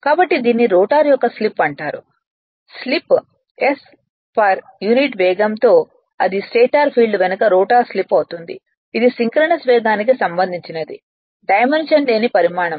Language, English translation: Telugu, So, so it is called slip of the rotor right the slip s is the per unit speed this is dimension less quantity with respect to synchronous speed at which the rotor slips behind the stator field right